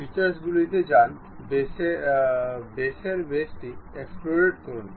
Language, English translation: Bengali, Go to features, extrude boss base